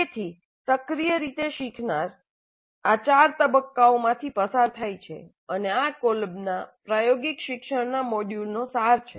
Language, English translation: Gujarati, So in a cyclic way the learner goes through these four stages of learning and this is the essence of Colbes model of experiential learning